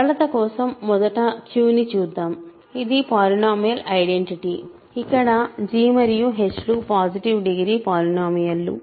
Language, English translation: Telugu, So, let me just first do Q for simplicity, it is a polynomial identity, where g and h are positive degree polynomials